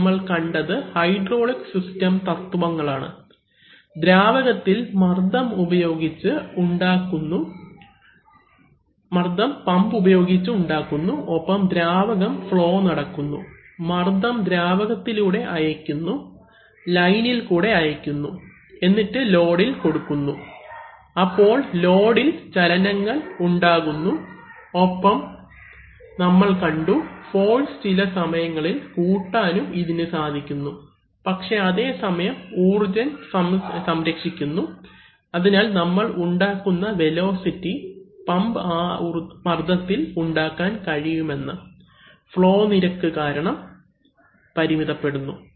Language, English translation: Malayalam, So we have, today we have seen the basic hydraulic system principles, that some pressures, pressured fluid is created using a pump and that fluid flows through the, that pressure is transmitted by taking the fluid through lines and is applied on the load to create various kinds of motion and we see that it is, it is possible to amplify force but at the same time, energy is conserved, so therefore the velocity that we are we can create gets limited by the flow rate that can be delivered by the pump at that pressure